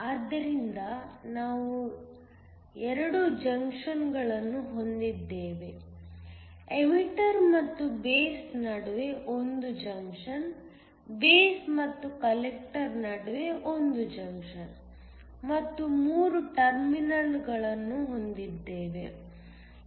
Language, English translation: Kannada, So we have 2 junctions, 1 junction between the emitter and the base, 1 junction between the base and the collector and you have 3 terminals